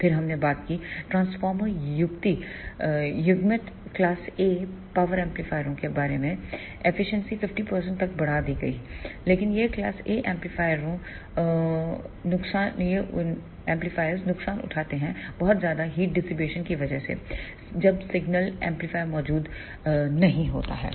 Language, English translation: Hindi, Then we talked about the transformer coupled class A power amplifiers the efficiency has been increased to 50 percent, but these class A amplifiers surfers with large heat dissipation when the signal is not present in the amplifier